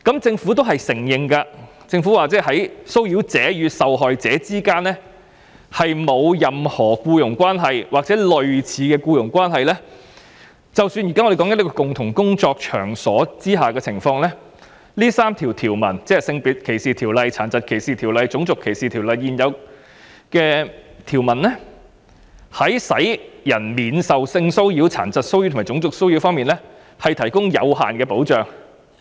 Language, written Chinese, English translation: Cantonese, 政府亦承認，在騷擾者與受害者之間沒有任何僱傭關係或類似的僱傭關係，但在我們現在談論的共同工作場所工作的情況下，這3項法例，即《性別歧視條例》、《殘疾歧視條例》及《種族歧視條例》的現有條文在使人免受性騷擾、殘疾騷擾及種族騷擾方面，只能提供有限的保障。, The Government also admitted that the existing provisions of SDO DDO and RDO can only provide for limited protection from sexual disability and racial harassment in situations where the harasser and the victim are working in a common workplace currently under discussion but do not have any employment or employment - like relationship